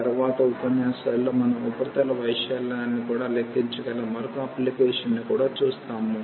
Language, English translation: Telugu, In later lectures we will also see another application where we can compute the surface area as well